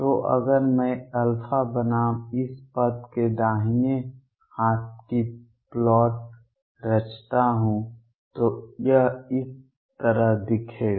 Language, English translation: Hindi, So, if I were to plot right hand side this term versus alpha this would look like this